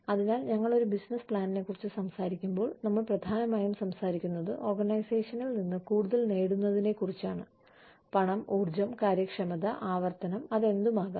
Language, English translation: Malayalam, So, when we talk about a business plan, we are essentially talking about, getting more out of the organization, in terms of, what we, in terms of whatever, money, the energy, efficiency, repetition, whatever